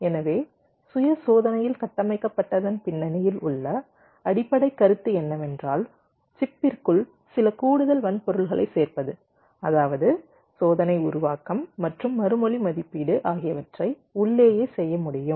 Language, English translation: Tamil, so the basic concept behind built in self test is to add some additional hardware inside the chip such that test generation and response evaluation can be done inside